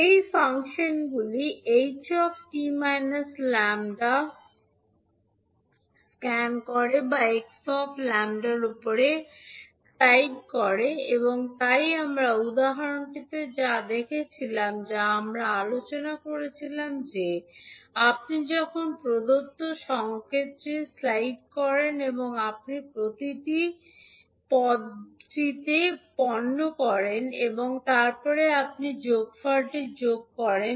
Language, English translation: Bengali, Now the functions h t minus lambda scans or slides over h lambda, so this what we saw in the example which we were discussing that when you slide over the particular given signal and you take the product of each and every term and then you sum it up so that you get the value of integral